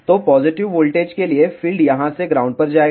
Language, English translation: Hindi, So, for positive voltage field will be going from here to the ground